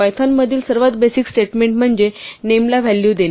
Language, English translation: Marathi, The most basic statement in python is to assign a value to a name